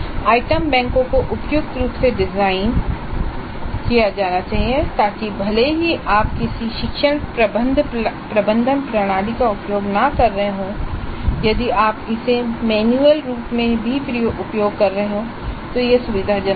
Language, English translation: Hindi, The item banks should be suitably designed so that even if you are not using any learning management system if you are using it manually also it is convenient